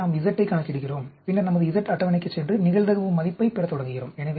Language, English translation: Tamil, So, we calculate Z, and then we go to our Z table and start getting the probability value